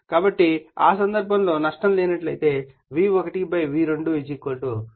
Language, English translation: Telugu, So, assuming that no losses therefore, we can make V1 / N1 = V2 / N2